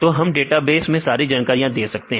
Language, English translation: Hindi, So, we give all the information in this database